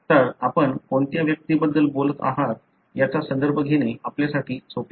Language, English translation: Marathi, So, it is easy for you to refer to which individual you are talking about